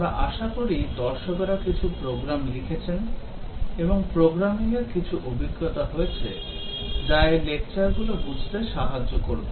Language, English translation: Bengali, We expect that viewer should have at least written some programs and some experience in programming that will help in understanding these lectures